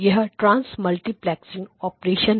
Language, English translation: Hindi, Now this is the general transmultiplexing operation